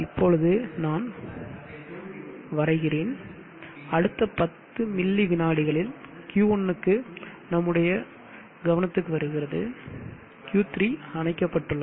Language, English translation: Tamil, And now the next 10 millisecond Q1 has come into the picture Q3 is off, Q1 has come into the picture